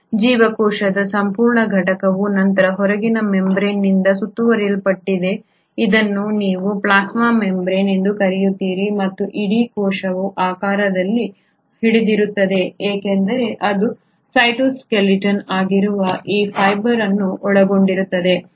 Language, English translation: Kannada, The whole entity of a cell is then surrounded by the outermost membrane which is what you call as the plasma membrane and the whole cell is held in shape because it consists of these fibre which are the cytoskeleton